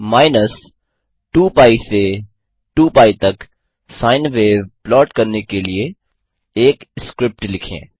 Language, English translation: Hindi, Write a script to plot a sine wave from minus two pi to two pi